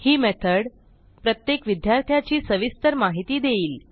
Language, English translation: Marathi, This method will give the detail of each student